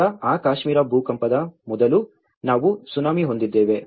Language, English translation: Kannada, Then, before that Kashmir earthquake, we have the Tsunami